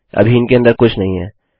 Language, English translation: Hindi, Nothing inside them yet